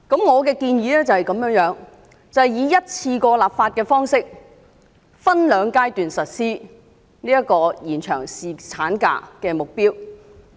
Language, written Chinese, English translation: Cantonese, 我的建議是以一次過立法的方式，分兩個階段實施延長侍產假的目標。, I propose enacting the legislation on extending paternity leave in one go and implementing the extension by two phases